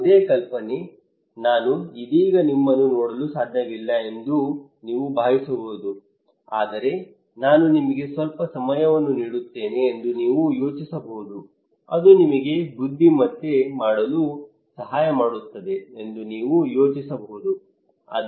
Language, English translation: Kannada, Any idea, well you can think I cannot see you right now, but you can think that you can imagine I give you some time that would help you to brainstorming, action storming okay